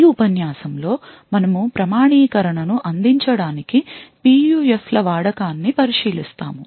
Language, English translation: Telugu, In this lecture we will be looking at the use of PUFs to provide authentication